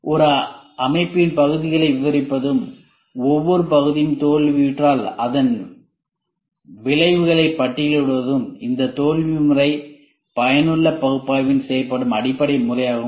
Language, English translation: Tamil, The basic method is to describe the parts of a system and list the consequences if each part fails, is done in this failure mode effective analysis